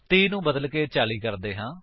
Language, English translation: Punjabi, Change 30 to 40